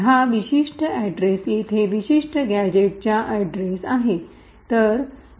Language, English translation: Marathi, This particular address over here is the address of the particular gadget